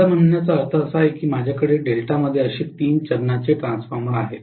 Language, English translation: Marathi, What I mean is let us say I have a three phase transformer here in delta like this